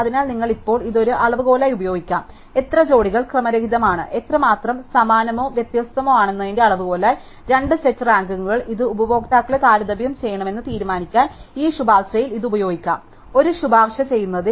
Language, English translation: Malayalam, So, you can use now this as a measure, how many pairs are out of order, as a measure of how similar or dissimilar, two sets of rankings are and this could be used for instance in this recommendation since to decide which customers to compare in making a recommendation